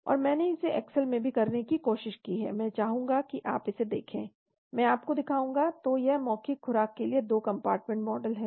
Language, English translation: Hindi, And I have tried to do it in excel as well, I would like you to see, I will show you that , so this is the 2 compartment model with the oral dose